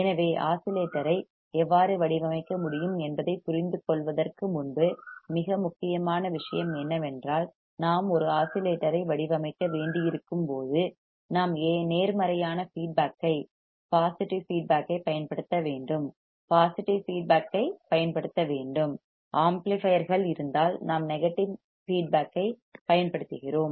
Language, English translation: Tamil, So, first before we understand how we can design the oscillator, the most important point is that when we have to design a oscillator we have to use positive feedback we have to use positive feedback; in case of amplifiers we were using negative feedback